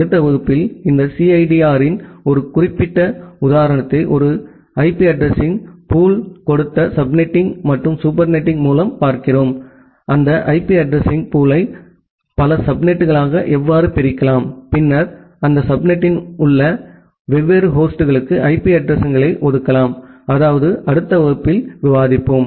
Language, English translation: Tamil, In the next class, we look into 1 specific example of this CIDR with subnetting and supernetting that given a IP address pool, how can you divide that IP address pool into multiple subnet and then allocate IP addresses to different host inside that subnet, that is that we will discuss in the next class